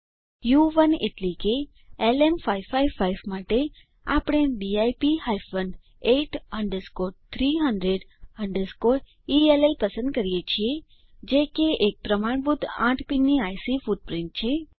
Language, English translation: Gujarati, LM555 we choose DIP hyphen 8 underscore 300 underscore ELL which is a standard eight pin IC footprint